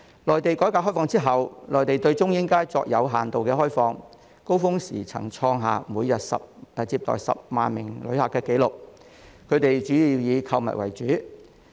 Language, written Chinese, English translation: Cantonese, 內地改革開放之後，內地對中英街作有限度開放，高峰時曾創下每日接待10萬名旅客的紀錄，他們主要以購物為主。, After its opening up and reform the Mainland has granted limited access to Chung Ying Street which has hit a record high of receiving 100 000 visitors per day . The visitors mainly shopped in Chung Ying Street